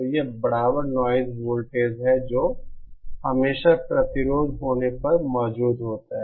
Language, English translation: Hindi, So this is the equivalent noise voltage that is always present when you have a resistance